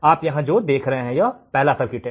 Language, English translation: Hindi, What do you see here is the first circuit